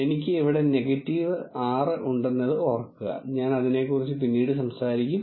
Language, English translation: Malayalam, Remember I have a negative 6 here, I will talk about it while later